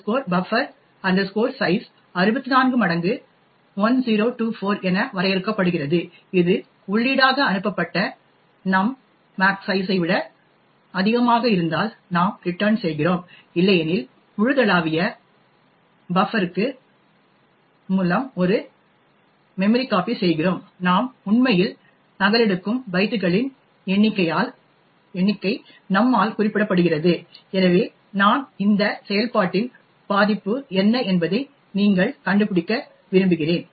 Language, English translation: Tamil, Max buf size is defined as 64 times 1024 if num which is passed as input is greater than max size then we return else we do a memcpy of source to the global buffer and the number of bytes we are actually coping is specified by num, so I would like you to find out what the vulnerability of this function is